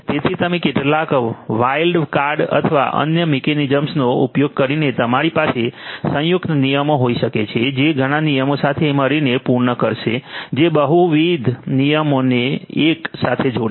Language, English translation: Gujarati, So, you can using some wild card or other mechanisms you can have combined rules which will cater to multiple such rules together which will combine multiple rules together